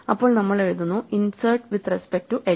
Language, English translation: Malayalam, So, we write that as insert with respect to h